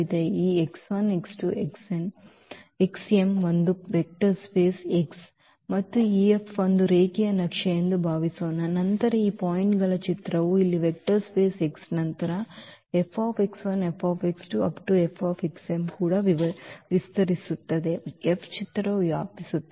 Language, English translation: Kannada, That suppose this x 1 x 2 x 3 x m is span a vector space X and suppose this F is a linear map, then their image of these points here what these vectors from x which is span the vector space X then this F x 1 F x 2 F x m will also span will span the image F